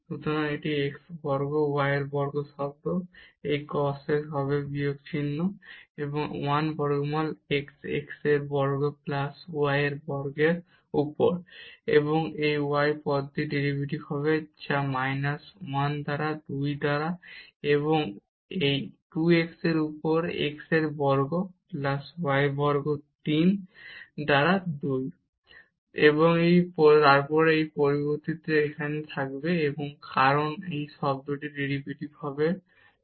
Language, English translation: Bengali, So, this x square y square term, this cos will be with minus sign and 1 over the square root x square plus y square, and the derivative of this term which will be minus 1 by 2 and this 2 x over x square plus y square 3 by 2, and then this will remain unchanged here the cause and the derivative of this term will be 2 x